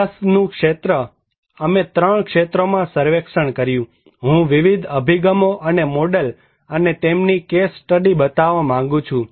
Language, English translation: Gujarati, Study area; we conducted surveys in 3 areas, I would like to show in different approaches and models and their case studies